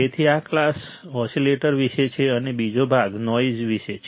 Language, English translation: Gujarati, So, this class is about oscillators and second part would be about noise all right